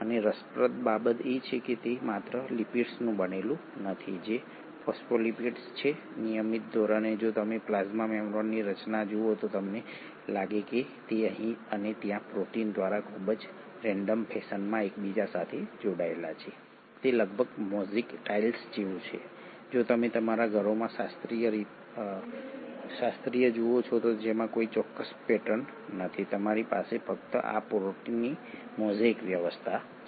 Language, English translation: Gujarati, And what is interesting is to note that it is not just made up of lipids that is the phospholipids, on a routine basis if you were to look at the structure of the plasma membrane you find that, it kind of get interspersed in a very random fashion by proteins here and there, it is almost like the mosaic tiles that you see in your homes classically which has no specific pattern, you just have a mosaic arrangement of these proteins